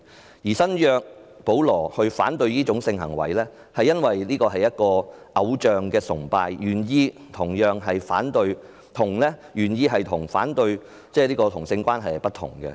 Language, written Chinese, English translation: Cantonese, 新約《聖經》中的保羅反對這種性行為，因為這是偶象崇拜，原意與反對同性關係可能不同。, In the New Testament Paul opposed this kind of sexual intercourse because this is idolatry . The original intention may be different from opposition to homosexuality